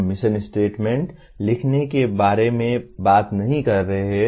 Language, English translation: Hindi, We are not talking about how to write mission statements